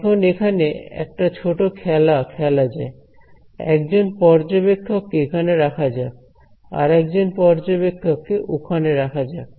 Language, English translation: Bengali, So, let us play a small game let us put one observer over here and there is another observer over here ok